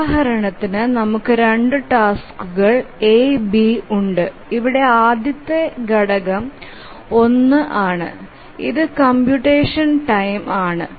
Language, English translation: Malayalam, The first example, we have two tasks, A, B, and the first element here is one, is the computation time